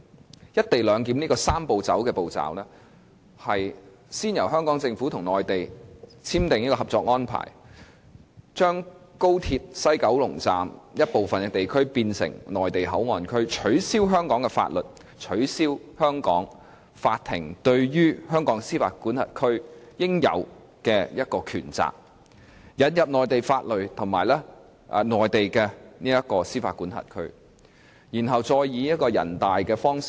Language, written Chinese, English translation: Cantonese, 按照"一地兩檢""三步走"的步驟，先由香港政府與內地簽訂《合作安排》，把高鐵西九龍站部分地區變成內地口岸區，取消香港法例、取消香港法庭對香港司法管轄區的應有權責，繼而引入內地法律和內地司法管轄區，並經人大批准。, Pursuant to the Three - step Process to put in place the co - location arrangement the Hong Kong Government would first reach the Co - operation Agreement with the Mainland to turn part of the area inside the West Kowloon Station WKS of the Guangzhou - Shenzhen - Hong Kong Express Rail Link XRL into a Mainland Port Area MPA . Following the conversion Hong Kong laws can no longer apply to MPA and Hong Kong courts no longer have the jurisdiction over that area . Instead MPA will be within the Mainland jurisdiction and be under the Mainland law